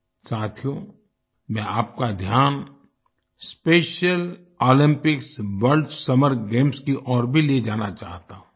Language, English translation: Hindi, Friends, I wish to draw your attention to the Special Olympics World Summer Games, as well